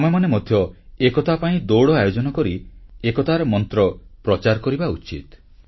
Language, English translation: Odia, We also have to run for unity in order to promote the mantra of unity